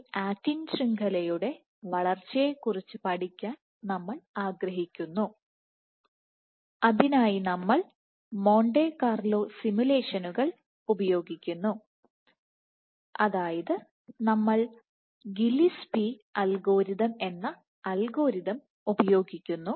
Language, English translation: Malayalam, So, we want to study the growth of this actin network, for that we use Monte Carlo simulations and specifically we use an algorithm called Gillespie algorithm